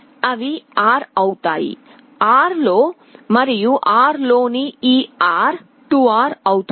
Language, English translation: Telugu, They become R, that R and this R in series becomes 2R